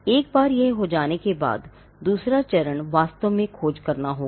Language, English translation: Hindi, Once this is done, the second step will be to actually do the search